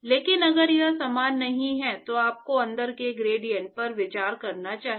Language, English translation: Hindi, But if it is not uniform yes you should consider the gradients inside